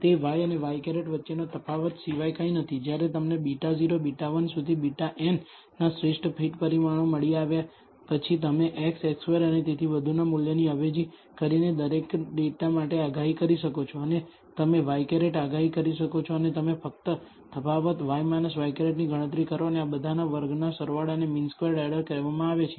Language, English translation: Gujarati, That is nothing but the difference between y and y hat after you have found out best fit parameters of beta naught, beta 1 up to beta n, you can predict for every data by substituting the value of x, x squared and so on and you predict y hat and you compute the difference y minus y hat and sum over squared of all this is called the mean squared error